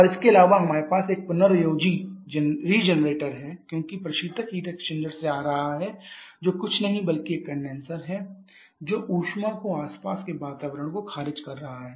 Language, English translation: Hindi, And also we have a regenerator as the heat as a variant is coming from the heat exchanger which is nothing but a condenser rejecting heat to the surrounding